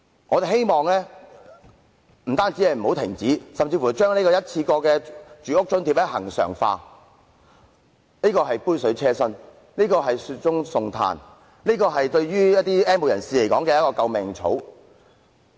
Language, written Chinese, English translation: Cantonese, 我們希望他不但不要停止發放津貼，甚至可把一次過生活津貼恆常化，因為這雖是杯水車薪，但卻是雪中送炭，是 "N 無人士"的救命草。, We expressed the wish that the provision of the subsidy should not be ceased but instead the one - off living subsidy should be regularized for the subsidy though small in amount provides timely help and a life - saving straw to the have - nots